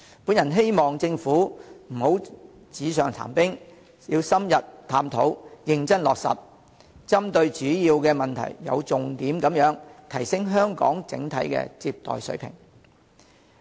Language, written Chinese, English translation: Cantonese, 我希望政府不要紙上談兵，要深入探討，認真落實，針對主要問題，有重點地提升香港的整體接待水平。, I hope that the Government will not indulge in empty talk but engage in in - depth studies and seriously implement measures to address major problems so as to enhance the overall receiving standards of Hong Kong in a targeted manner